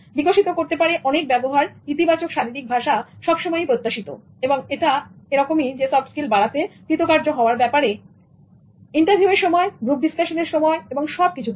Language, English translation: Bengali, Positive body language is always desirable and it is something that is required for in terms of developing soft skills or in terms of getting success in interviews, group discussions and all that